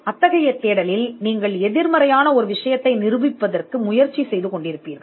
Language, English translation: Tamil, The reasons being, in a search you would be trying to prove the negative